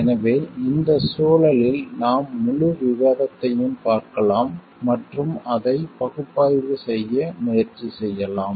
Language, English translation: Tamil, So, in this context we will see the whole discussion and maybe try to analyze it